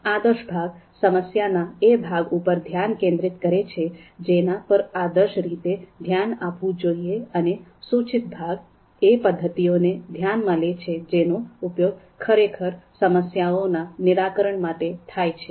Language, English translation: Gujarati, So the normative part focuses on the problem that should be ideally addressed and the prescriptive parts considers methods that could actually be used to solve these problems